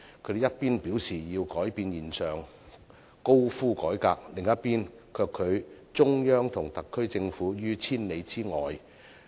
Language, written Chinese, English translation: Cantonese, 他們一邊廂表示要改變現狀，高呼改革，另一邊廂卻拒中央和特區政府於千里之外。, While asking for changes in the present status quo and demanding reform they have nonetheless shut the door on the Central Authorities and the SAR Government